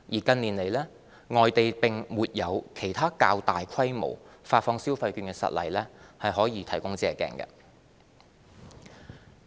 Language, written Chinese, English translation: Cantonese, 近年來，外地並沒有其他較大規模發放消費券的實例可供借鏡。, There has not been other large - scale overseas consumption voucher programmes in recent years for our reference